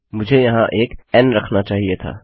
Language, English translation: Hindi, I had to put a n there